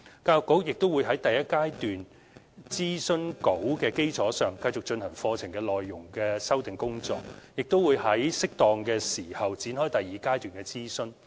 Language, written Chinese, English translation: Cantonese, 教育局亦會在第一階段諮詢稿的基礎上，繼續進行課程內容修訂的工作，並會在適當的時候展開第二階段的諮詢。, On the basis of the document for the first stage of consultation the Education Bureau will continue to revise the curriculum contents and launch the second stage consultation in due course